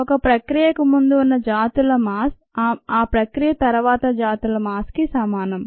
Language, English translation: Telugu, the mass of the species before a process equals the mass of species after the process